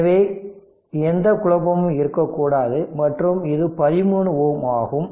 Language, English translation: Tamil, So, there should not be any confusion and this is your 13 ohm